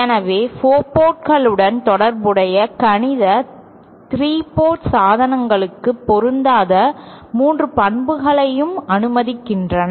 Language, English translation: Tamil, So, the mathematics related to the 4 port devices permit them to have all the 3 properties which was not the case for 3 port devices